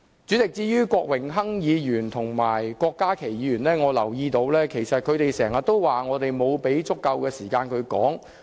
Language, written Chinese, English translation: Cantonese, 主席，至於郭榮鏗議員和郭家麒議員，我留意到他們經常說我們沒有給予他們足夠的時間發言。, President Mr Dennis KWOK and Dr KWOK Ka - ki have said repeatedly that they have not been given sufficient speaking time